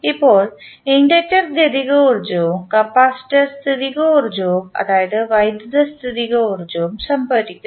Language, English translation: Malayalam, Now, the inductor stores the kinetic energy and capacitor stores the potential energy that is electrical potential energy